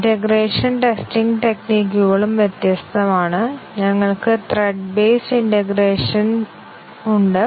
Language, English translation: Malayalam, The integration testing strategies are also different we have thread based integration